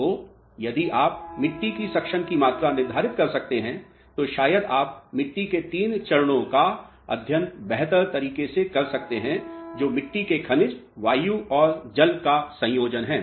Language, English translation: Hindi, So, if you can quantify soil suction you can study three phase of the soil mass may be in a better way that is soil minerals, air and water combination